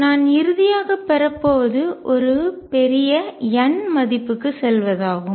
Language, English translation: Tamil, So, what I am going have finally is go to a huge n value